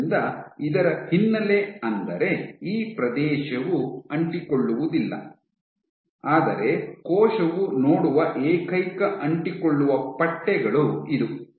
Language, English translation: Kannada, So, this area is non adherent, but this is the only adherence stripes that cell sees